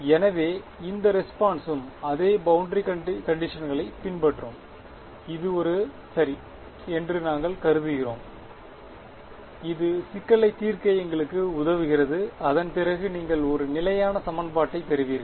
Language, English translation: Tamil, So, this response also will follow the same boundary conditions that is; that is one assumption that we will make ok, that helps us to solve the problem and you get a consistent system of equations after that